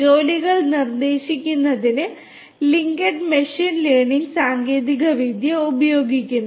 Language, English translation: Malayalam, LinkedIn uses machine learning technology for suggesting jobs